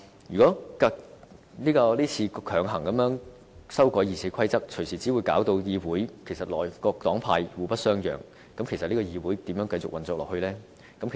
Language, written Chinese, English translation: Cantonese, 如果這次強行修改《議事規則》，隨時只會令議會內各黨派更互不相讓，那麼這個議會又如何繼續運作下去呢？, The arbitrary amendments to RoP will only stifle any chance of compromise . How can the Council continue to operate under this circumstance?